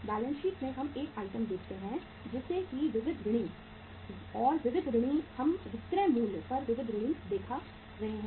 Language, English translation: Hindi, In the balance sheet we show 1 item as say sundry debtors and sundry debtors are we are showing the sundry debtors at the selling price